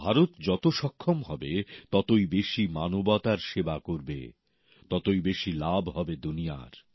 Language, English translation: Bengali, The more India is capable, the more will she serve humanity; correspondingly the world will benefit more